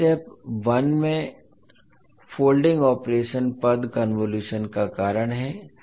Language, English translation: Hindi, Now the folding operation in step one is the reason of the term convolution